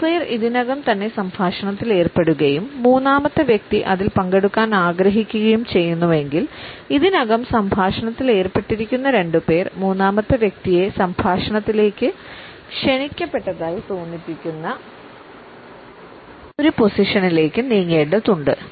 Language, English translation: Malayalam, If two people are already engross in the dialogue and the third person wants to participate in it, the two people who are already in the dialogue have to move in such a position that the third person feels invited